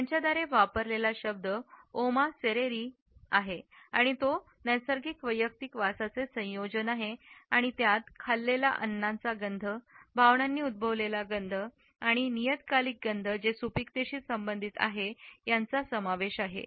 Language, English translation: Marathi, The word which is used by them is Oma Seriri and it is a combination of natural personal odors which are acquired through the food one eats, odors which are caused by emotions and periodic odors which are related to fertility